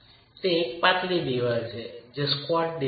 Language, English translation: Gujarati, So, it is a slender wall not a squat wall